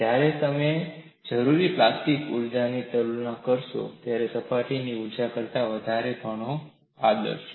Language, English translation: Gujarati, When you compare the plastic energy that is required, it is very high, several orders of magnitude than the surface energy